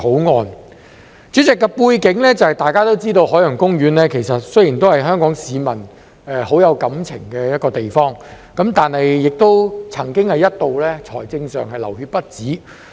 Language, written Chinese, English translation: Cantonese, 代理主席，大家都知道有關背景，海洋公園雖然是香港市民很有感情的一個地方，但亦曾一度在財政上"流血不止"。, Deputy President we all know the background . Although the Ocean Park OP is a place for which the people of Hong Kong have deep feelings it had once suffered ongoing financial bleeding